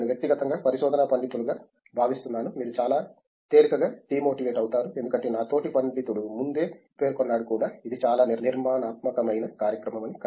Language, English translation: Telugu, I feel personally as research scholars, you get tend to get demotivated very easily because my fellow scholar was also mentioning earlier that it is very unstructured program